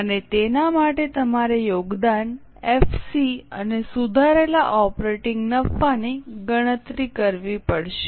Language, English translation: Gujarati, And for that you have to calculate contribution, EPC and revised operating profit